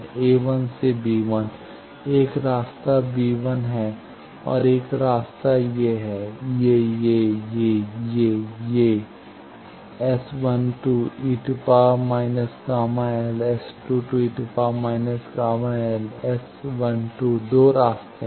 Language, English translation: Hindi, So, a 1 to b 1, one path is b 1 another path is these, these, these, these, these S 12 e to the power minus gamma L S 22 then e to the power minus gamma L S 12